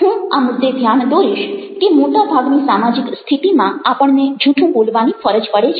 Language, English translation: Gujarati, i would like to point out that in most social situations, we are force to tell lies